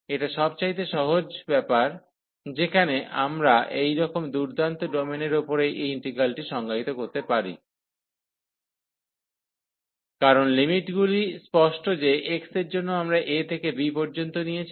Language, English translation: Bengali, So, this is the simplest case, where we can define this integral over the such a nice domain, because the limits are clear that for x, we are wearing from a to b